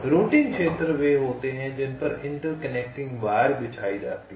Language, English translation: Hindi, routing regions are those so which interconnecting wires are laid out